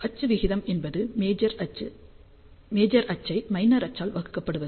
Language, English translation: Tamil, So, axial ratio is defined as major axis divided by minor axis